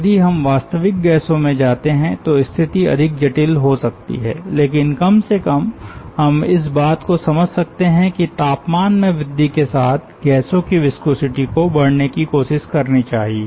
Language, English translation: Hindi, if we go to real gases, the situation may be more complicated, but at least what we can appreciate is that the viscosity of gases should try to increase with increase in temperature